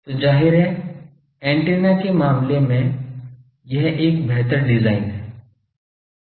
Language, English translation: Hindi, So obviously, that is a better design as per as antenna is concern